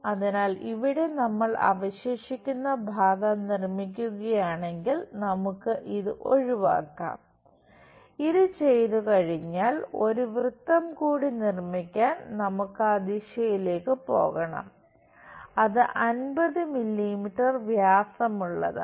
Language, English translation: Malayalam, So, here if we are making construct that the remaining portion we can just eliminate this, once that is done we have to move in that direction to construct one more circle and that is diameter 50 mm we have it